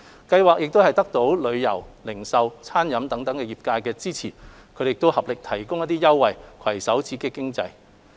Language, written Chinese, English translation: Cantonese, 計劃得到旅遊、零售及餐飲等業界支持，他們合力提供一些優惠，攜手刺激經濟。, With the support of the tourism retail catering and other industries the campaign provides different offers to boost the economy